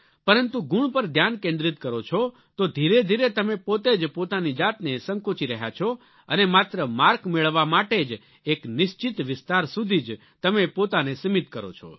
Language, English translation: Gujarati, However if you concentrate and focus only on getting marks, then you gradually go on limiting yourself and confine yourself to certain areas for earning more marks